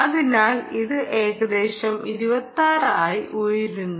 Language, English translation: Malayalam, it went up to twenty six